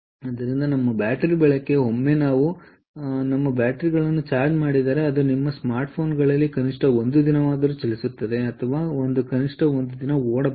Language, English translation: Kannada, so thats why our battery life, ah, i mean once we charge our batteries, it runs for, at least on your smart phones, at least for a day, or it it should at least run for a day